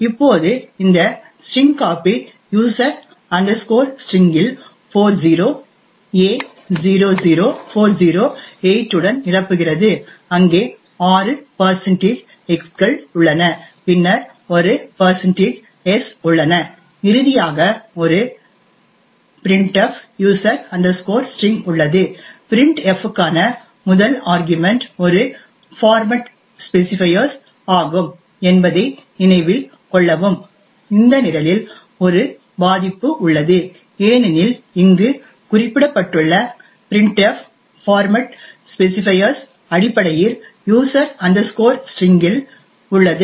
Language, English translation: Tamil, Now this string copy now fills in user string with 40a00408 there are six %x’s and then a %s and finally there is a printf user string, note that the first argument to printf is a format specifier, there is a vulnerability in this program because the printf which is specified here the format specifier is essentially this string present in user string, so the objective of this program is to demonstrate that we could manipulate the way printf works